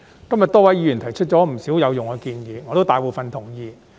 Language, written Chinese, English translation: Cantonese, 今天多位議員提出不少有用建議，大部分我也是同意的。, Today many fellow Members have proposed a lot of useful suggestions and I agree to most of them as well